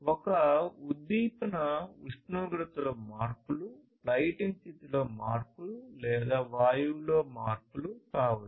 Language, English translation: Telugu, This stimulus could be changes in the temperature, changes in the lighting condition, changes in the gas